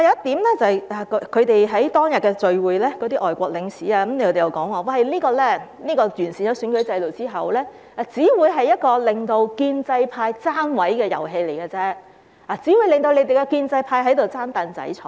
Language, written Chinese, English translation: Cantonese, 此外，在當天的聚會上，有外國領事又表示，完善選舉制度之後，選舉只會成為建制派"爭位"的遊戲，只會讓建制派爭"櫈仔"坐。, In addition at the gathering on that day a foreign consul also said that after the improvement of the electoral system the election would only become a game for the pro - establishment camp to scramble for seats allowing only the pro - establishment camp to grab a seat and sit down